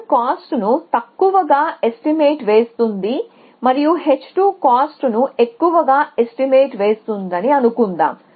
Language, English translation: Telugu, So, let us say h 1 underestimates the cost and h 2 overestimates the cost